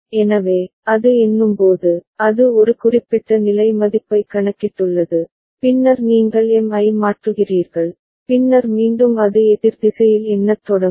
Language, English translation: Tamil, So, while it is counting, it has counted up to a particular level value, then you are changing M, then again it will start counting in the opposite direction